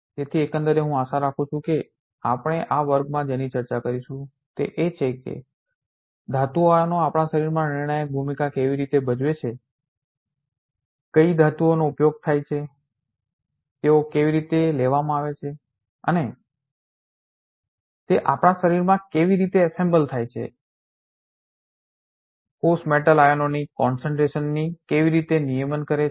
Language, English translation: Gujarati, Therefore overall I hope what we will be discussing in this class is how metal ions play a crucial role in our body, what metals are used, how they are taken up, and how they are assembled in our body, how do cells regulate metal ions concentration